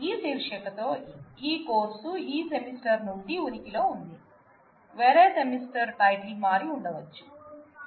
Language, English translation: Telugu, This course with this title existed from this semester, a different semester the title may have changed